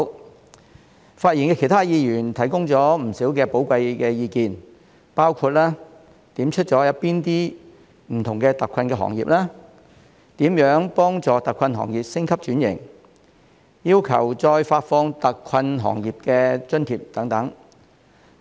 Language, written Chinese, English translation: Cantonese, 其他發言的議員均提供了不少寶貴意見，包括指出了哪些不同的特困行業、如何幫助特困行業升級轉型，以及要求再發放特困行業津貼等。, Other Members who have spoken have provided a lot of valuable views including listing out various hard - hit industries and ways to help hard - hit industries to upgrade and transform as well as seeking further subsidies for these hard - hit industries